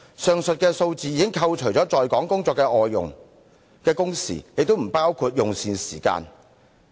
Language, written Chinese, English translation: Cantonese, 上述數字已扣除了在港工作的外傭，亦不包括用膳時間。, When compiling the above statistics foreign domestic helpers working in Hong Kong were excluded and meal hours were discounted